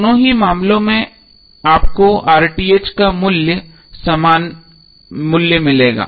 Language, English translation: Hindi, In both of the cases you will get the same value of RTh